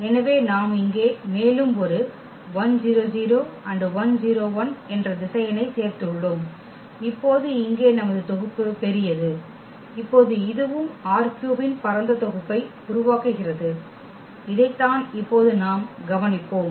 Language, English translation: Tamil, So, we have added one more vector here now our set here is bigger and now again this also forms a spanning set of R 3 that is what we will observe now